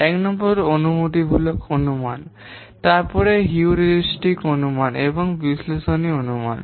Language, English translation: Bengali, Number one, empirical estimation, then heuristic estimation and analytical estimation